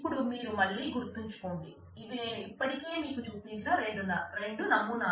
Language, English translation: Telugu, Now mind you again this is these are the two models that we have I have already shown you